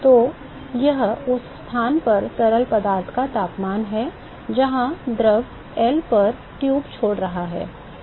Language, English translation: Hindi, So, that is the temperature of the fluid at the location, where the fluid is leaving the tube at L